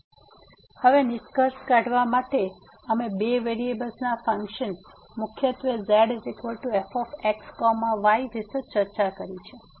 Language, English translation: Gujarati, So, now to conclude, so we have discussed the functions of two variables mainly Z is equal to